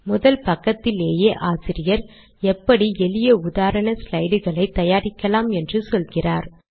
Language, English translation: Tamil, In the very first page the author talks about how to create simple slides and he has given the source also